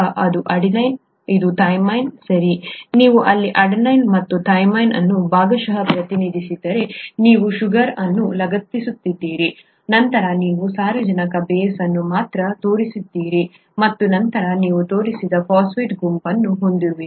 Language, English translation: Kannada, This is adenine, this is thymine, right, you have the adenine and thymine represented here in part, you have the sugar attached, then you have the nitrogenous base alone shown and then of course you have the phosphate group which is not shown